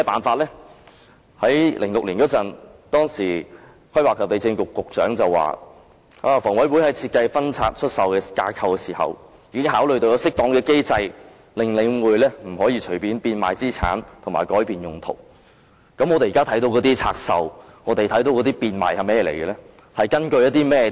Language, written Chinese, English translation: Cantonese, 2006年，當時房屋及規劃地政局局長表示，房委會於設計分拆出售架構時已考慮有適當機制，令領匯不能隨便變賣資產和改變用途，那麼我們現時看到的拆售和變賣是甚麼呢？, What solutions do we have? . In 2006 the then Secretary for Housing Planning and Lands said that when HA designed the divestment framework it had considered that an appropriate mechanism be put in place to prevent The Link REIT from selling the assets and changing their purposes at will . If that is the case what are those divestments and sales which we are seeing now?